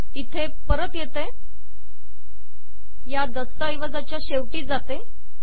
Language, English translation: Marathi, Come back here go to the bottom of this document